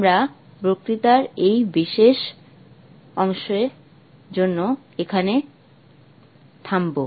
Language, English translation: Bengali, We'll stop here for this particular part of the lecture